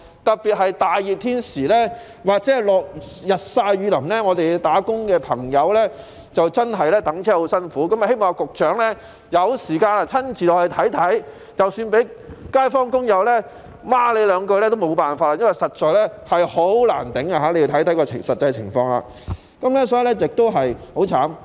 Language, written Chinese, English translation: Cantonese, 特別在炎夏或日曬雨淋的時候，上班的朋友等候巴士時真的十分辛苦，我希望局長有時間可以親自落區看看，即使被街坊或工友罵兩句也沒法子，因為實在難以忍受，局長可以去看看該區的實際情況。, Particularly on sweltering summer days or in times of rain commuters who are waiting to get on a bus for work really have a hard time . I hope that the Secretary can spare some time to personally visit the district and take a look there even though he would be chided by the residents or workers . It is because the conditions are indeed intolerable